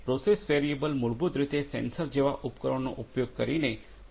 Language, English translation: Gujarati, Process variable are basically the values of the process parameters measured using devices such as sensors